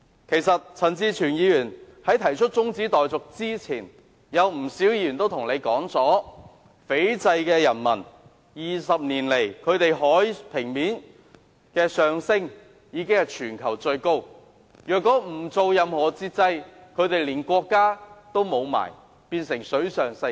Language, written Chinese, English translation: Cantonese, 其實陳志全議員提出中止待續議案前，不少議員均告訴大家 ，20 年來，斐濟的海平面上升速度是全球最快的，若不實施任何限制，斐濟的人民連國家也會失去，成為水上世界。, In fact before Mr CHAN Chi - chuens proposing the adjournment motion many Members already mentioned that the sea level in Fiji had been rising the fastest in the whole world in the past 20 years . If no limitation is imposed the people of Fiji will lose their country which will turn into a water world